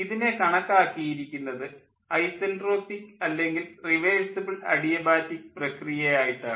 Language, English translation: Malayalam, for an ideal cycle they are assumed to be, they are assumed to be isentropic or reversible adiabatic process